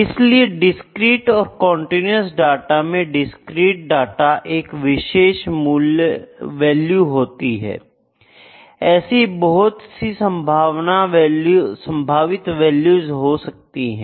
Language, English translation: Hindi, So, for the discrete and continuous data, discrete data takes only a particular value, there may be potentially be an infinite number of those values